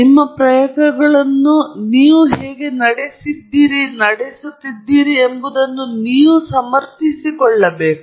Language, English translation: Kannada, You should be able to defend how you ran your experiments